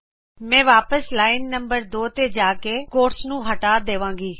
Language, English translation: Punjabi, I will go back to line number 2 and replace the quotes